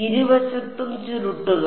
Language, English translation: Malayalam, Curl on both sides